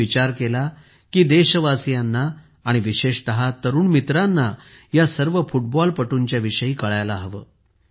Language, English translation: Marathi, I felt that our countrymen and especially our young friends must know about this